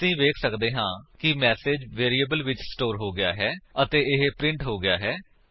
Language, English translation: Punjabi, As we can see, the message has been stored in the variable and it has been printed